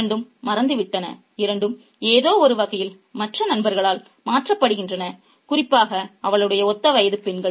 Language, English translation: Tamil, Both are forgotten, both are replaced in some sense by other figures, especially the girls of her own age